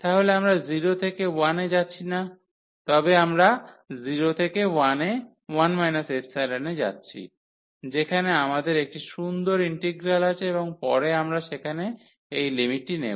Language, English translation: Bengali, So, we are not going from 0 to 1, but we are going from 0 to 1 minus epsilon where we have the nice integral and later on we will substitute we will take that limit there